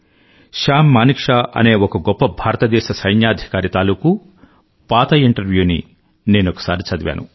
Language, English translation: Telugu, I was reading an old interview with the celebrated Army officer samManekshaw